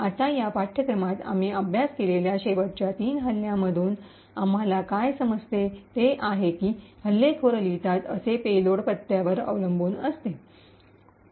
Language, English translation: Marathi, Now, from the last three attacks we have studied in this course what we do understand is that the payloads that the attacker writes, is highly dependent on the addresses